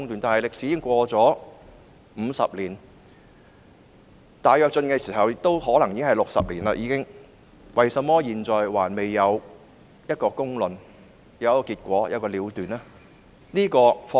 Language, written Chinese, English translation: Cantonese, 但這段歷史已經過了50年，而大躍進發生已超過60年，為甚麼現在仍未有公論、結果和了斷？, But 50 years have passed since this historic event and more than 60 years have passed since the Great Leap Forward why have there been no fair judgment outcome and conclusion yet?